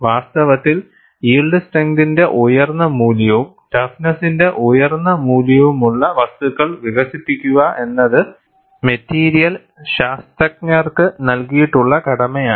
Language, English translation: Malayalam, In fact, it is the task given to material scientists, to develop materials which have high value of yield strength, as well as high value of toughness